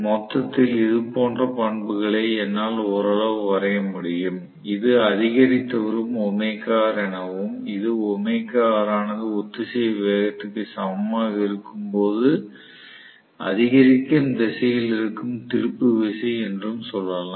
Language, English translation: Tamil, So, on the whole, I should be able to draw the characteristics somewhat like this, let us say this is omega R increasing and this is torque in the increasing direction, when omega R is equal to synchronous speed